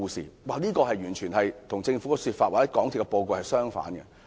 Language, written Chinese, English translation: Cantonese, 中科的說法完全與政府的說法或港鐵公司的報告相反。, The assertions of China Technology completely contradict with the government remarks or the report of MTRCL